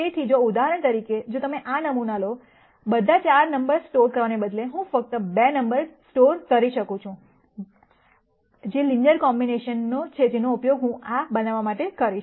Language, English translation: Gujarati, So, for example, if you take this sample, instead of storing all the 4 numbers, I could just store 2 numbers, which are the linear combinations that I am going to use to construct this